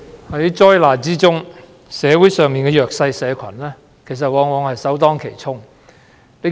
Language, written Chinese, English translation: Cantonese, 主席，在災難中，社會上的弱勢社群往往是首當其衝的受害者。, President during disasters the vulnerable groups in the community often bear the brunt